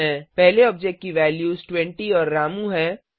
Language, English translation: Hindi, The first object has the values 20 and Ramu